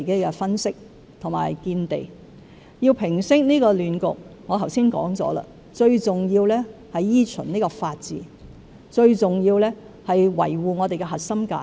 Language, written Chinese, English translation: Cantonese, 我剛才也指出，想平息這個亂局，最重要是依循法治，最重要是維護我們的核心價值。, I have also pointed out earlier that in order to resolve this chaos it is most important that we uphold the rule of law and safeguard our core values